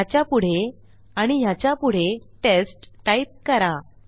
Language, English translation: Marathi, I will just type test after this and test after this